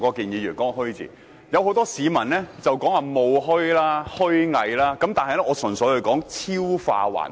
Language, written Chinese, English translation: Cantonese, 有很多市民說是"虛冒"、"虛偽"的"虛"，但我純粹說"超化還虛"。, Many people may query whether I am referring to spurious or hypocritical but I am simply talking about manifesting surrealism